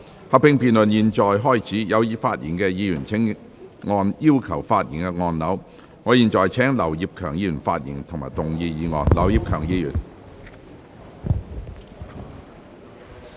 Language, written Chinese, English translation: Cantonese, 合併辯論現在開始，有意發言的議員請按"要求發言"按鈕。我現在請劉業強議員發言及動議議案。, Members who wish to speak please press the Request to speak button I now call upon Mr Kenneth LAU to speak and move the motion